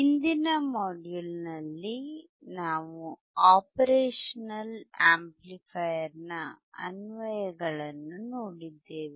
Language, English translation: Kannada, In the last module we have seen the applications of operation amplifier